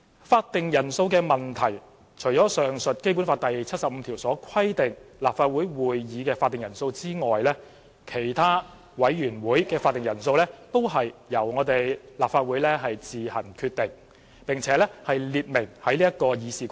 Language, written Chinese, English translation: Cantonese, 法定人數的問題，除了上述《基本法》第七十五條所規定立法會會議的法定人數外，其他委員會會議法定人數皆由立法會自行決定，並列明於《議事規則》。, Regarding the quorum issue apart from the quorum for the meeting of the Legislative Council as stipulated under the aforementioned Article 75 of the Basic Law the quorum of the committees of the Legislative Council are all determined by itself and stipulated in RoP